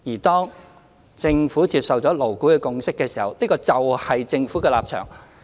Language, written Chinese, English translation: Cantonese, 當政府接受了勞顧會的共識，那共識就是政府的立場。, When the Government accepts LABs consensus that consensus is the Governments position